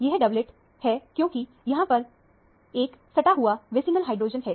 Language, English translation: Hindi, It is a doublet because there is an adjacent vicinal hydrogen